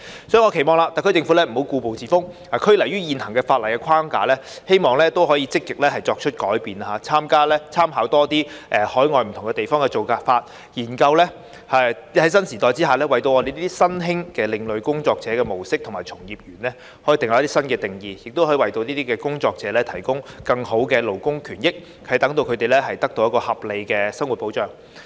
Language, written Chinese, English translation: Cantonese, 所以，我期望特區政府不要故步自封，拘泥於現行法例框架，希望可以積極作出改變，多參考海外不同地方的做法，研究在新時代下為新興的另類工作者的模式和從業員訂立新定義，為這些工作者提供更好的勞工權益，使他們獲得合理生活保障。, It is therefore my hope that the SAR Government will not stick to the old thinking and the existing legislative framework but will proactively seek changes by making extensive reference to practices adopted in different overseas places and considering providing in this new era new definitions for new and alternative working modes as well as workers adopting such modes so that these workers may enjoy better labour rights and interests which will enable them to obtain reasonable living protection